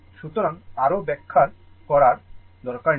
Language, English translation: Bengali, So, no need to explain further